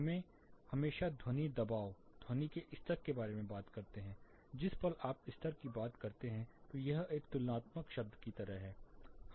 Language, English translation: Hindi, We always talk about sound pressure, sound levels, moment you say level it is like a comparative term